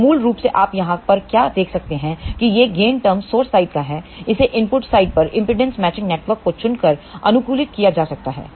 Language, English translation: Hindi, So, basically what you can see over here, this is the gain term corresponding to the source side and that can be optimized by properly choosing impedance matching network at the input side